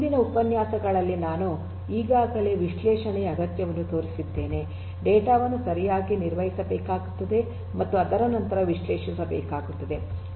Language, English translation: Kannada, In the previous lectures I already highlighted the need for analytics, the data will have to be managed properly will have to be analysed thereafter